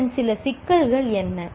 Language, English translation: Tamil, What are some of the problems of